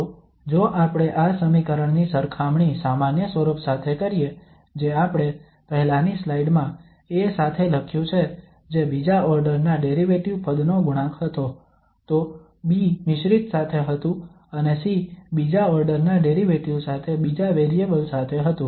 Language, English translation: Gujarati, So if we compare with the general form which we have written in the previous slide with A was the coefficient of the second order derivative term, then B with the mixed and C was with the second order derivative with the second variable